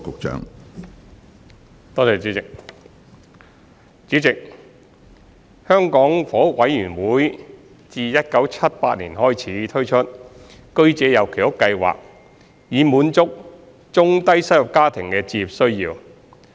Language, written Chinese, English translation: Cantonese, 主席，香港房屋委員會自1978年開始推出居者有其屋計劃，以滿足中低收入家庭的置業需要。, President the Hong Kong Housing Authority HA introduced the Home Ownership Scheme HOS in 1978 to meet the home ownership needs of low - to middle - income families